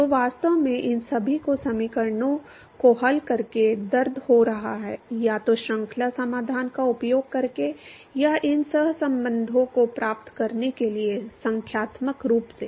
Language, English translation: Hindi, So, to really it just all of these have been a pain by solving the equations, either using series solutions or numerically in order to obtain these correlations